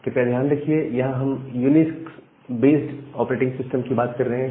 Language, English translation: Hindi, And remember that here we are talking about a UNIX based operating system